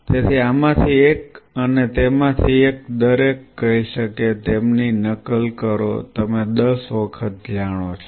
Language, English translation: Gujarati, So, one of and on each one of them will be say replicating them say you know 10 times